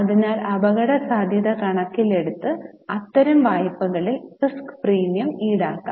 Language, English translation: Malayalam, So, to take care of risk, risk premium can be charged on such types of loans